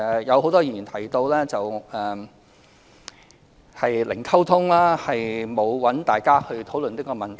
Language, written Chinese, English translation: Cantonese, 有很多議員提到零溝通，沒有與大家討論這個問題。, Many Members said that there had been no communication at all and that the authorities had never discussed the issue with Members